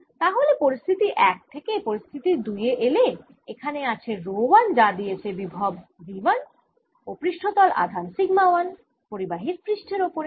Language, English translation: Bengali, so, from situation one to situation two, i have rho one in this, which gives me potential v one, and surface charge sigma one on the surface of the conductor